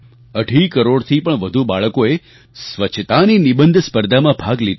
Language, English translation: Gujarati, More than two and a half crore children took part in an Essay Competition on cleanliness